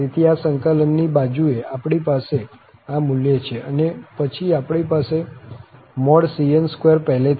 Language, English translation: Gujarati, So, this integral side, we have this value, and then, we have the cn square already with us